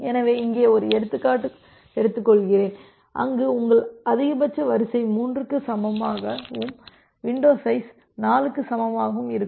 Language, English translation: Tamil, So, here is an example here I am taking an example, where your max sequence is equal to 3 and window size is equal to 4